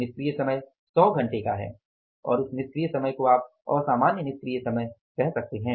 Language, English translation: Hindi, So, that ideal time was of the 100 hours and that idle time is, you can call it as the abnormal idle time